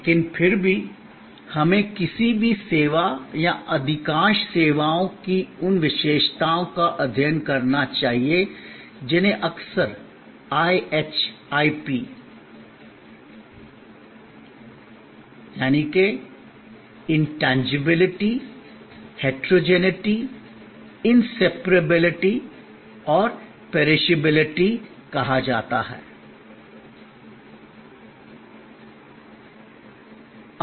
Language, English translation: Hindi, But, yet we must study these characteristics of any service or most services, which are often called IHIP or IHIP acronym for Intangibility, Heterogeneity, Inseparability and Perishability